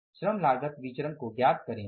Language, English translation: Hindi, So let us go for the labor cost variance